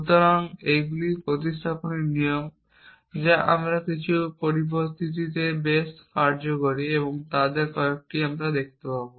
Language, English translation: Bengali, So, these are rules of substitutions which I quite useful in some situations we will see some of them